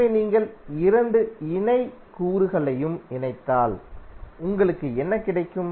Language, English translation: Tamil, So if you combine both all the parallel elements, what you will get